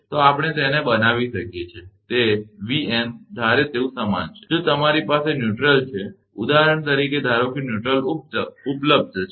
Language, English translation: Gujarati, So, we can make it Vn is equal to suppose, if you have a neutral for example, suppose neutral is available